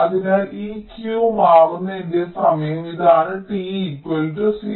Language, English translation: Malayalam, so this is my, lets say, time t equal to zero